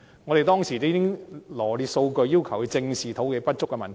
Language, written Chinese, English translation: Cantonese, 我們當時羅列數據，要求政府正視土地不足的問題。, We had presented the data and urged the Government to squarely face the problem of insufficient land supply